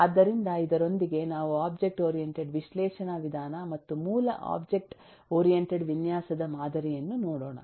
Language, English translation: Kannada, we have taken a look into the object oriented analysis approach and the basic object oriented design paradigm